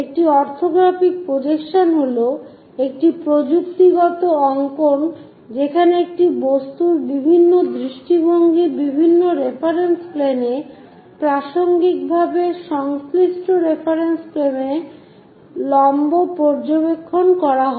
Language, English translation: Bengali, An orthographic projection is a technical drawing in which different views of an object are projected on different reference planes observing perpendicular to respective reference planes